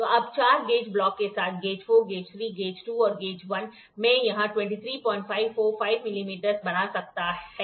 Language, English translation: Hindi, So now with four gauge blocks so, gauge 4 gauge 3 gauge 2 and gauge 1 I could built a this is 23